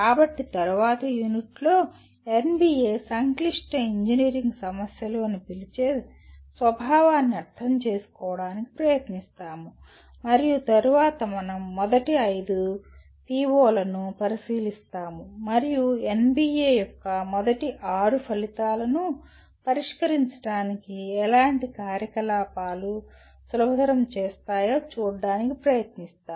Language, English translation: Telugu, So in the next unit we will try to understand the nature of what the NBA calls complex engineering problems and we then we look at the first five POs and try to look at what kind of activities facilitate addressing the first six outcomes of NBA